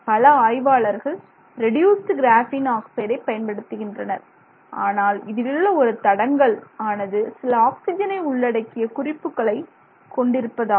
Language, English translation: Tamil, Many other people are working with reduced graphene oxide which has this other constraint of you know some oxygen containing group